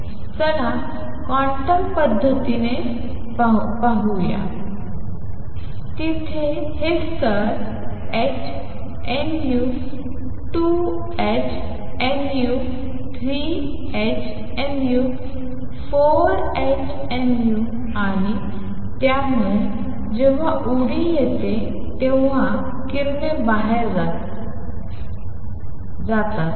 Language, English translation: Marathi, Let us look at it quantum mechanically, there are these levels h nu 2 h nu 3 h nu 4 h nu and so, on and the radiation is given out when there is a jump